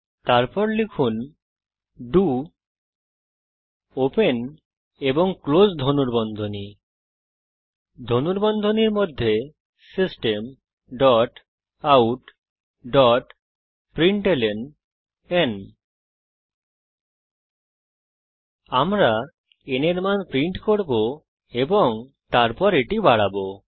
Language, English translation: Bengali, then type do open and close braces Inside the bracesSystem.out.println We shall print the value of n and then increment it